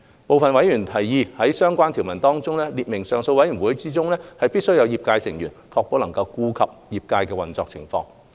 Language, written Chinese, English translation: Cantonese, 部分委員提議在相關條文中列明上訴委員會中，必須有業界成員，確保能顧及業界的運作情況。, Some members suggested specifying in the relevant clause that the appeal board must include trade members to ensure that the trades operations can be taken into account